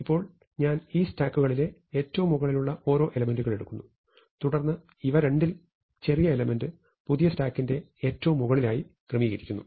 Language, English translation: Malayalam, So, I look at the top most elements, and then I say that the smaller of the two must be the top most element of my new stack